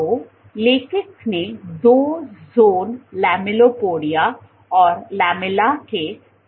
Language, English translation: Hindi, So, author showed the existence of two zones lamellipodia and lamella